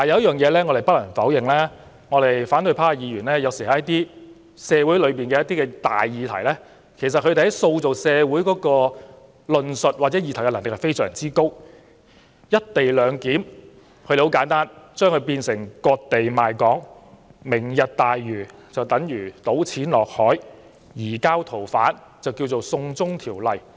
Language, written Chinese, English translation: Cantonese, 不過，有一點我們不能否認，就是在一些重大社會議題上，反對派議員塑造社會論述或議題的能力有時非常高，例如他們簡單地把"一地兩檢"說成"割地賣港"、"明日大嶼"等於"倒錢落海"，"移交逃犯"則改稱為"送中條例"。, However there is no denying that when it comes to social issues of significance the ability of Members of the opposition camp to shape social discourse and agenda could be considerable . For example they presented the co - location arrangement simply as selling out Hong Kong equating the Lantau Tomorrow Vision with dumping money into the sea and calling the Bill on the surrendering of fugitive offenders as a China extradition law